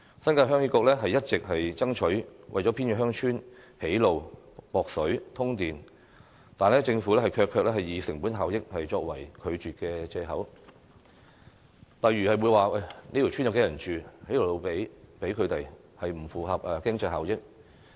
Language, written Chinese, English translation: Cantonese, 新界鄉議局一直爭取為偏遠鄉村修路、供水、通電，但政府卻以成本效益作為拒絕的藉口，例如會說這條村有多少人居住，興建一條路給他們不符合經濟效益。, Heung Yee Kuk New Territories has long been fighting for road construction water supply and power grids for remote villages but the Government rejected our request on the pretext of cost - effectiveness saying for example that it would not be cost - effective to build a road for a village given the limited number of residents